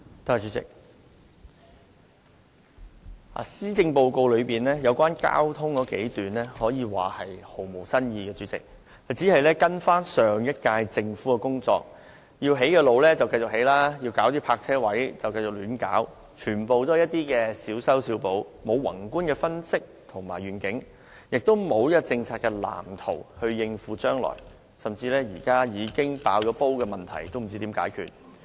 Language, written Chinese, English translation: Cantonese, 主席，施政報告有關交通的數段內容，可說毫無新意，只是跟隨上屆政府的工作，原定要興建道路，今屆政府便繼續興建，原定要設立泊車位，也便繼續胡亂設立，全皆是小修小補，缺乏宏觀分析和願景，也缺乏政策藍圖以應付將來，就連現在已呈現眼前的問題，今屆政府也不知道怎樣解決。, President the Policy Address devotes a few paragraphs on transport but these paragrapghs merely follows the old path of the last Government without any new ideas . The current Government simply approaches the subject by giving minor corrections or rectifications sticking to the routines in building roads and causally setting up parking spaces . It lacks the insight to generate a broad analysis and vision and is incapable of devising any blueprints for the future